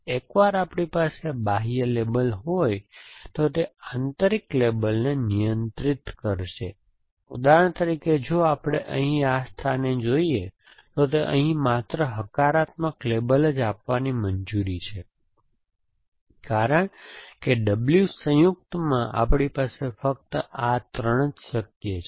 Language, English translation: Gujarati, Essentially, that once we have this outer label they will constrain the inner label, for example if we look at this place here it allow only a positive label to be given here because in the W joint we have only these three are possible